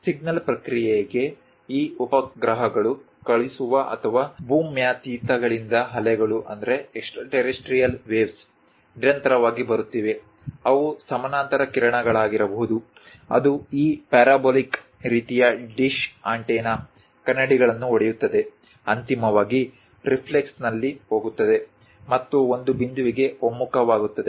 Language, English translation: Kannada, For signal processing, either these satellites sending or from extraterrestrial waves are continuously coming; they might be parallel beams which strike this parabolic kind of dish antennas mirrors, goes finally in reflux and converge to one point